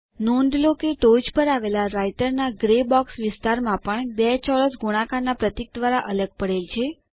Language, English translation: Gujarati, Also in the Writer gray box area at the top, notice two squares separated by the multiplication symbol